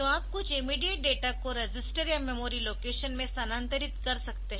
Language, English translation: Hindi, So, you can have MOV some immediate data to a register or in memory location